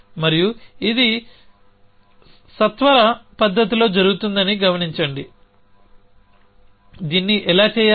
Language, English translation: Telugu, And notice that this is being done independent fashion how to be do this